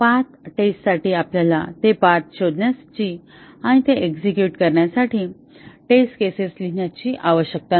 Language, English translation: Marathi, A path testing does not require us to find those paths and write test cases to execute it